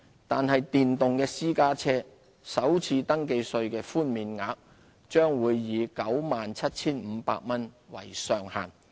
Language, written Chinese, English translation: Cantonese, 但是，電動私家車首次登記稅的寬免額將會以 97,500 元為上限。, However the First Registration Tax waiver for electric private cars will be capped at 97,500